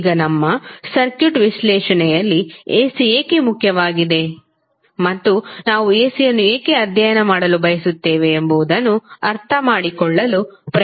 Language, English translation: Kannada, So, now let's try to understand why the AC is important in our circuit analysis and why we want to study